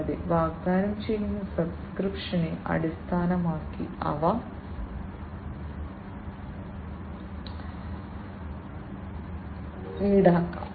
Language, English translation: Malayalam, And they can be charged based on the subscription that is offered